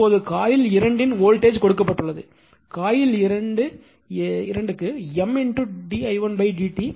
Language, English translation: Tamil, Now voltage of coil 2 is given by, we know that in coil 2 M into d i 1 upon d t